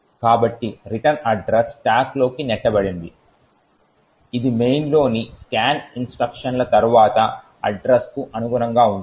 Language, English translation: Telugu, So, there is the return address pushed into the stack this corresponds to the address soon after the scan instruction in the main